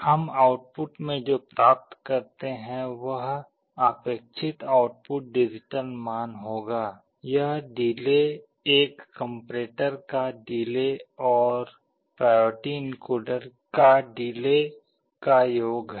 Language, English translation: Hindi, What we get in the output will be the required output digital value, , the delay will be the delay of a comparator plus delay of the priority encoder